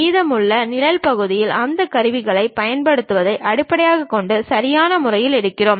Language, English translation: Tamil, Remaining shaded portions we pick appropriately based on that we use those tools